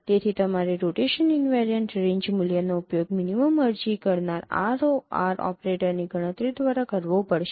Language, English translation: Gujarati, So you have to use rotation invariant value by computing minimum applying ROR operator